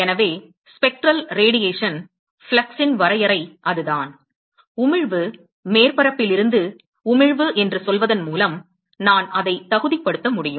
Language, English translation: Tamil, So, that is the definition of the spectral radiation flux, I can qualify it by saying for emission, for emission from a surface